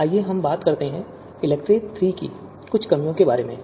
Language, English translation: Hindi, Now let us talk about some of the drawbacks of ELECTRE third